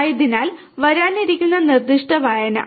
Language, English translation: Malayalam, So, the specific reading that is coming